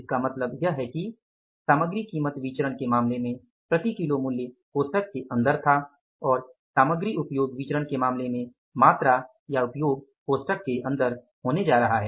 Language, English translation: Hindi, So, it means in case of the material price variance price per kG was inside the bracket and in case of the material usage variance quantity or the usage is going to be inside the bracket